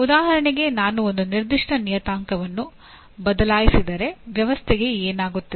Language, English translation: Kannada, For example if you say if I change a certain parameter what happens to the system